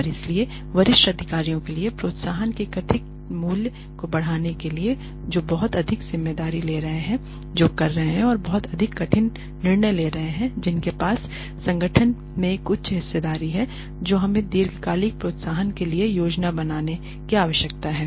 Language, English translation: Hindi, And so, in order to enhance the perceived value of incentives for senior executives who are taking on lot more responsibility who are doing who are making much more difficult decisions, who have a higher stake in the organization we need to plan for long term incentives